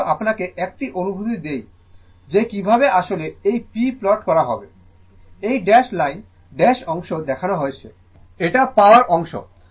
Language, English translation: Bengali, I just to give you a feeling that how actually this p this one you plot, this is the dash line, the dash portion shown, it is the power part right